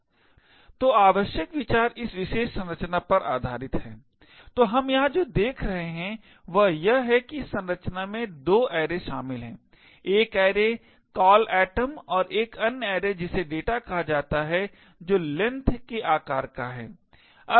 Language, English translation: Hindi, So, the essential idea is based on this particular structure, so what we see over here is that this structure comprises of 2 arrays one is an array call atom and another array called data which is of size length